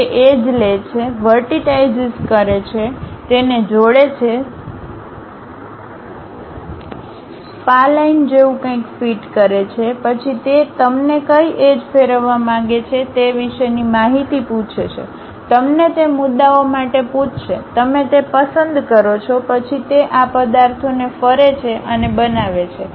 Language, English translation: Gujarati, Takes that edges, vertices, connect it, fit something like a spline; then it asks you information about which axis you would like to really rotate, ask you for those points, you pick that; then it revolves and construct these objects